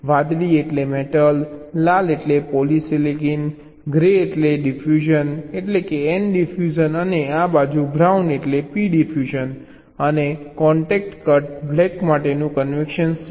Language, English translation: Gujarati, blue means metal, red means polysilicon, grey means diffusion, mean n diffusion, and on this side brown is the convention for p diffusion and contact cuts, black